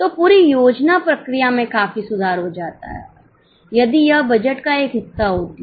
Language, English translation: Hindi, So, the whole planning process is substantially improved if it is a part of budgeting